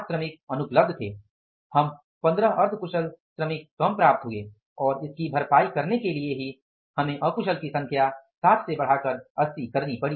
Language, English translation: Hindi, We could get 15 semi skilled less workers and to compensate for that we have to increase the number of the unskilled from the 60 to 80